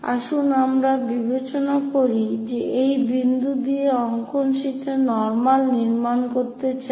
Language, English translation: Bengali, Let us consider this is the point where I would like to construct normal on the drawing sheet here